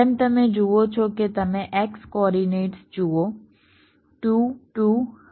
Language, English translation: Gujarati, take the average, you take the four x coordinates: two, two, four, four